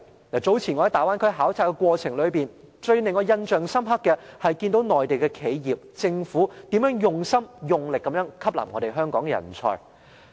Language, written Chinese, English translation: Cantonese, 我早前在大灣區考察的過程裏，令我最印象深刻的是，內地企業、政府，用心用力地吸納香港人才。, In the course of my earlier visit to the Bay Area I was most impressed by the fact that the Mainland enterprises and authorities spare no effort to attract Hong Kong talents